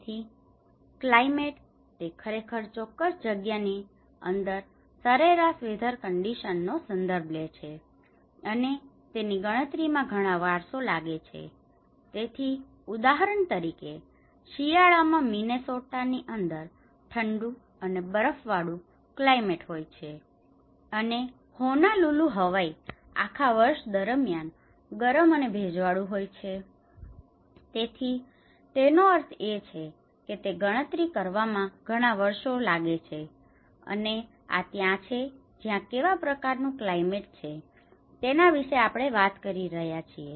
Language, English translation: Gujarati, So, climate; it actually refers to the average weather conditions in a particular place, and it takes account of many years, so, for example, a climate in Minnesota is cold and snowy in winter and climate is Honolulu, Hawaii is warm and humid all year long, so which means it has taken the account of many years and that is where we are talking about what kind of climate it have